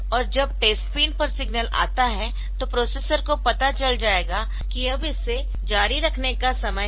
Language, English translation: Hindi, And this test pin when it is when the signal comes then the processor will know that this now it is my time to continue